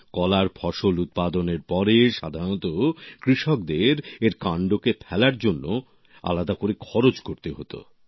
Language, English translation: Bengali, After the harvesting of banana, the farmers usually had to spend a separate sum to dispose of its stem